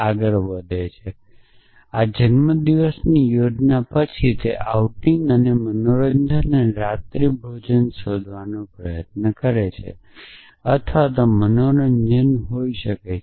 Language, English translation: Gujarati, So, this is birthday plan then it tries to find an outing and entertainment and dinner or may be this is have entertainment